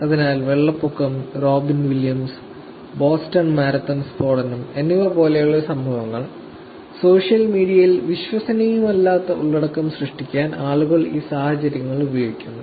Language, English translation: Malayalam, So, situations like these, which are floods, incidences like these to death to Robin Williams, Boston marathon blast, people use these situations to create malicious content, content that is not credible on social media